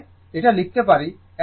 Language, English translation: Bengali, That means, this one you can write